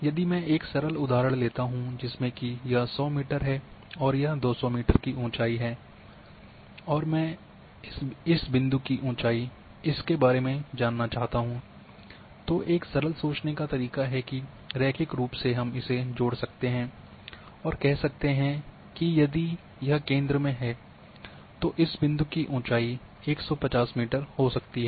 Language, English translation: Hindi, For example if I take a simple example here that I say this is 100 meter and this is 200 meter height and I want to know the height of this point about this, so a very simple way of thinking that linearly we can connect this one and say that the height of this point if it is in the centre may be 150